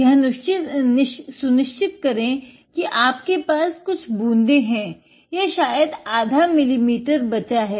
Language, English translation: Hindi, Make sure that you have a couple of drops or maybe even half a milliliter left